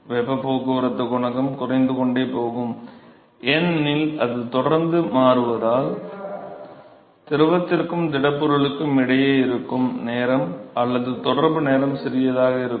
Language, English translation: Tamil, So, therefore, the heat transport coefficient will continue to decrease because it is constantly switching and so, the residence time or the contact time between the fluid and the solid is going to be significantly smaller